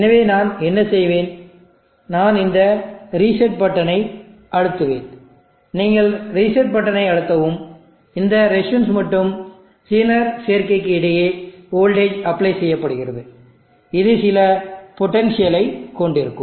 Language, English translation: Tamil, So what I will do, I will press this reset button, you press the reset button, there is voltage apply across this resistance is in a combination and this will be at some potential